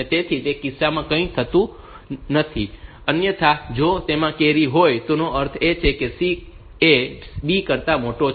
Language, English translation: Gujarati, So, the in that case nothing happens otherwise if the carry is there; that means, C is larger than B